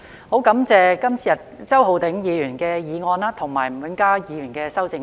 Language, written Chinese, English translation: Cantonese, 我會支持周浩鼎議員的議案及吳永嘉議員的修正案。, I will support Mr Holden CHOWs motion and Mr Jimmy NGs amendment